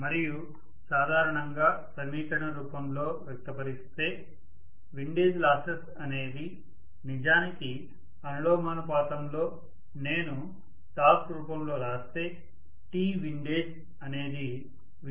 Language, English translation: Telugu, And in general empirically the expression we can say the windage loss is actually proportional to, if I write it in the form of torque, so T windage I am saying, the loss torque associated with windage